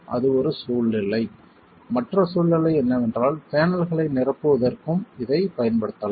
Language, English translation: Tamil, The other situation is you can apply this even to infill panels